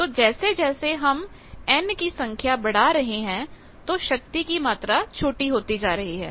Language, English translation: Hindi, So, as we go on increasing the value of the small n, the amount of power that is reaching that is becoming smaller and smaller